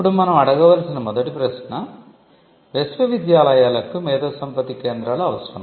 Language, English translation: Telugu, Now, the first question that we need to ask is whether universities need IP centres